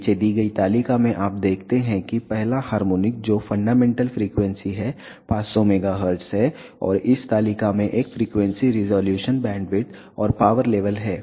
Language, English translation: Hindi, On below table you see that the first harmonic which is the fundamental frequency is 500 megahertz and this table has a frequency resolution bandwidth and power level